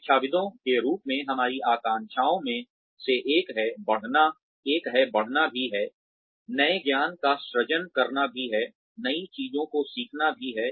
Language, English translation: Hindi, One of our aspirations as academics, is also to grow, is also to create new knowledge, is also to learn new things